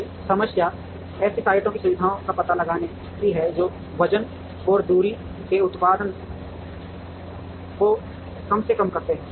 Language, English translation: Hindi, Now, the problem is to locate the facilities to sites such that, the product of the weight and distance is minimized